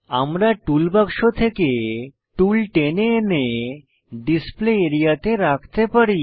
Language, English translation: Bengali, We can drag and drop tools from toolbox into the Display area